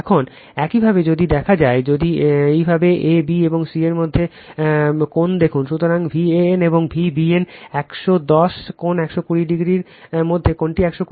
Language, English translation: Bengali, Now, if you see the if you see the angle between a, b, and c, so angle between V a n and V b n 110 angle 120 degree, this angle is 120 degree right